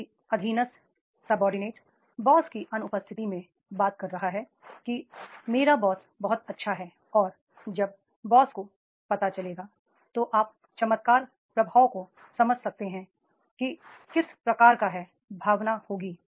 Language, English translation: Hindi, If the subordinate is talking in absence of the boss, that is my boss is very good, he is very nice and when the boss will come to know you can understand the miracle impact, that is the what type of the filling will be there